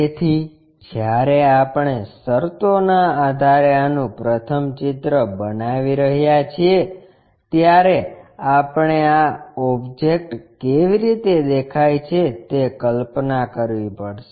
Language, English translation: Gujarati, So, when we are constructing this first of all based on the conditions, we have to visualize how the object might be looking